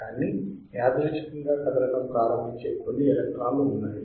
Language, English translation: Telugu, But there are few electrons that will start moving randomly